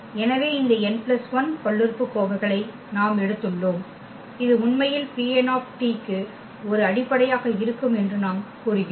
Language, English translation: Tamil, So, these n plus 1 polynomials rights these are n plus 1 polynomials, we have taken and we claim that this is a basis actually for P n t